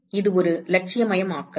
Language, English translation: Tamil, Again this is an idealization